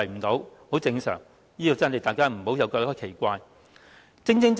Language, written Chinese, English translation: Cantonese, 這情況相當正常，大家不要感到奇怪。, This is pretty normal and Members should not feel puzzled at all